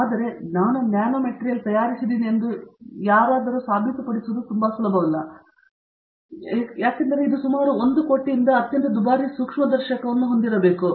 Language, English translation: Kannada, But, to prove to somebody that you have made a nanomaterial is not so easy, it needs various microscope which are extremely expensive starting from anywhere ranging from about 1 crore